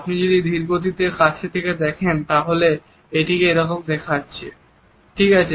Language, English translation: Bengali, If you have look in slow motion with a close up, this is how it looks, all right